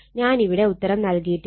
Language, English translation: Malayalam, I have not solved it here